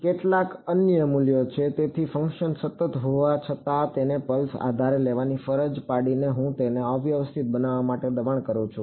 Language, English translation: Gujarati, Some other value so, even though the function is continuous by forcing it to take to be on a pulse basis I am forcing it to be become discontinuous